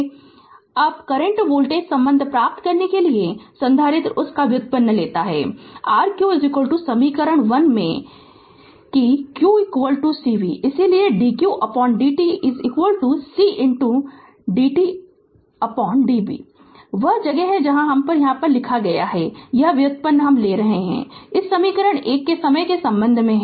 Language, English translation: Hindi, Now, to obtain the current voltage relationship the capacitor that we have we can take the derivative of that is your q is equal to the in the equation 1 that q is equal to c v, therefore, dq by dt is equal to c into db by dt that is where we are writing here I taking that derivate of this equation 1 with respect to time right